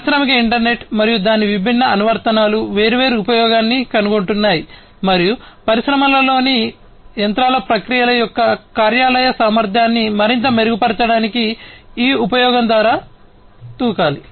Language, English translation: Telugu, Industrial internet and its different applications are finding different usefulness and one has to leap through these usefulness to improve upon the efficiency of the workplace of the processes of the machines in the industries even further